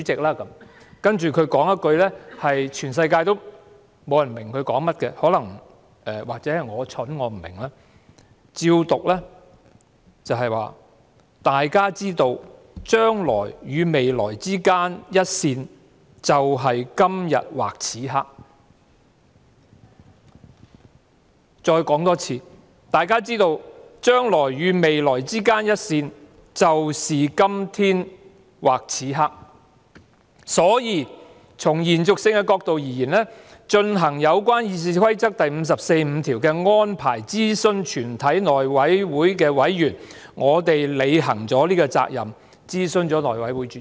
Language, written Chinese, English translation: Cantonese, "接着局長說了一句全世界也不明白的說話——可能是我愚蠢，我不明白——我依稿讀出："大家知道，將來與未來之間一線，就是今天或此刻"；我再重複："大家知道，將來與未來之間一線，就是今天或此刻，所以從延續性的角度而言，進行有關《議事規則》第545條的安排諮詢全體內委會委員，我們履行了這個責任諮詢內委會主席。, He said As Members all know the line between the future and the future is today or this moment . I repeat As Members all know the line between the future and the future is today or this moment . Hence from the angle of continuity in carrying out the arrangement set out in RoP 545 of consulting all members of the House Committee we would have fulfilled our responsibility of consulting the Chairman of the House Committee